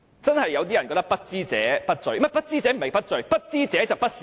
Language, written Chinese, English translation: Cantonese, 真的有些人覺得"不知者不罪"，說得確切些是"不知者就不是說謊"。, Some people really think that if one is ignorant one is not guilty or rather if one is ignorant one is not a liar